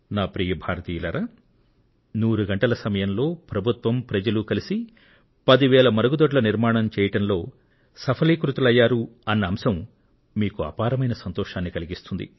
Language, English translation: Telugu, And my Dear Countrymen, you will be happy to learn that the administration and the people together did construct 10,000 toilets in hundred hours successfully